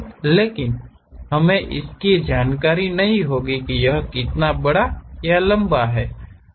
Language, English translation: Hindi, But, we will not be having information about how large or long it is